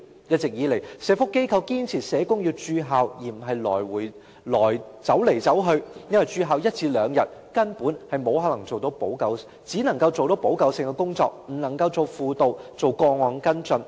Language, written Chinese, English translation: Cantonese, 一直以來，社福機構堅持社工要駐校而不是走來走去，因為駐校一至兩天，根本只能夠做補救性工作，不能夠做輔導及個案跟進。, All along social welfare organizations have insisted that social workers have to be stationed in the schools instead of travelling among schools because in the one or two days stationed in one school only remedial work but not counselling and case follow - up can be performed